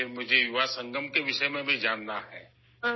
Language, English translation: Urdu, Then I also want to know about the Yuva Sangam